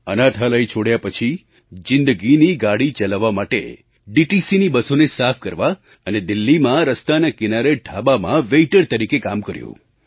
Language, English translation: Gujarati, After leaving the orphanage, he eked out a living cleaning DTC buses and working as waiter at roadside eateries